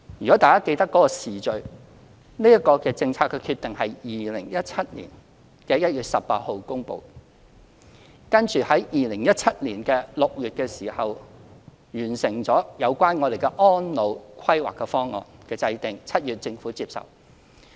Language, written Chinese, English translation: Cantonese, 若大家記得有關時序，這個政策決定是於2017年1月18日發表的2017年施政報告公布，接着在2017年6月完成制定《安老服務計劃方案》，其後政府接受。, If Members remember the chronology of the relevant developments this policy decision was announced on 18 January 2017 when the Policy Address of 2017 was presented . Then in June 2017 the formulation of the Elderly Services Programme Plan was completed and it was accepted by the Government later